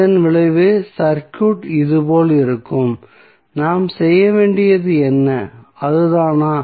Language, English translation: Tamil, So, the resultant circuit would be like this and what we need to do is that